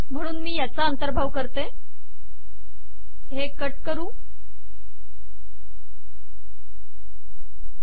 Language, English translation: Marathi, So in view of that, I will include this, cut, paste